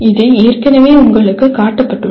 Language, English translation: Tamil, It has been already shown to you